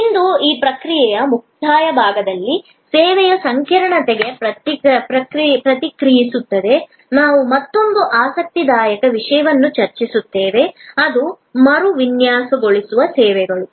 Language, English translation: Kannada, Today, in the concluding section of this process responds to service complexity, we will discuss another interesting topic which is the redesigning services